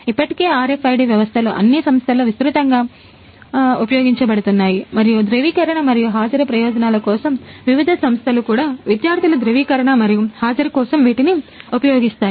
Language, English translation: Telugu, So, already RFID systems are widely used in all the companies and for authorization as well as attendance purposes, various institutes also use these for student authorization and attendance